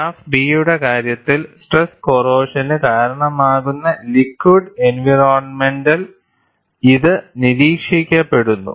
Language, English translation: Malayalam, In the case of graph b, it is observed in liquid environments, that cause stress corrosion